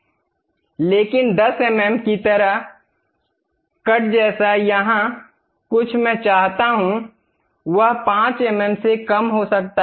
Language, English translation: Hindi, But something like 10 mm cut I would like to have, may be lower than that 5 mm